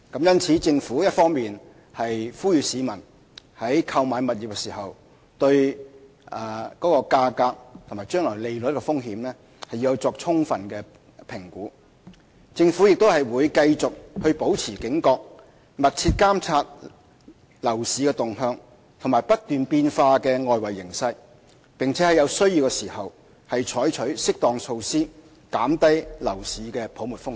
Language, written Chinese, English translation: Cantonese, 因此，政府一方面呼籲市民在購買物業時要對價格和將來利率的風險作出充分評估，另一方面亦會繼續保持警覺，密切監察樓市動向和不斷變化的外圍形勢，並在有需要時採取適當措施，減低樓市泡沫的風險。, Hence on the one hand the Government has called on members of the public to conduct a thorough assessment of property prices and future interest risks when purchasing a property; on the other hand it would remain vigilant and closely monitor the trends of property market and the ever - changing external conditions and take appropriate measures when necessary to reduce the risk of a bubble in the property market